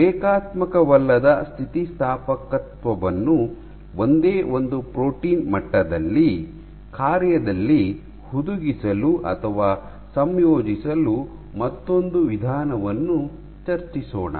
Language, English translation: Kannada, I will discuss about another procedure another way in which non linear elasticity can be embedded or incorporated into the function at the single protein level